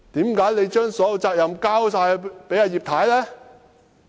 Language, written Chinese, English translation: Cantonese, 為何你把所有責任交給葉太呢？, Why do you shirk all the responsibility to Mrs IP?